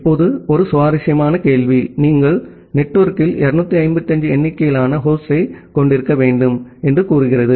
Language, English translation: Tamil, Now, one interesting question say you have to 255 number of host in the network